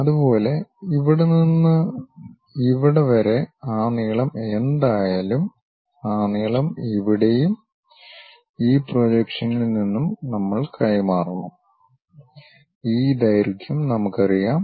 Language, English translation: Malayalam, Similarly, from here to here whatever that length is there, we have to transfer that length here and from this projection we know this length